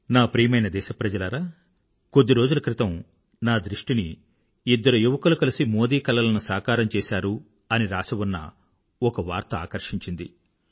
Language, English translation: Telugu, My dear countrymen, a few days ago I happened to glance through a news item, it said "Two youths make Modi's dream come true"